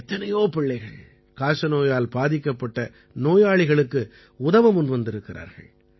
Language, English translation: Tamil, There are many children who have come forward to help TB patients